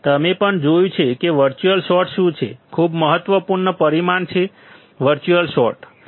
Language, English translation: Gujarati, You have also seen what is virtual short; very important parameter virtual short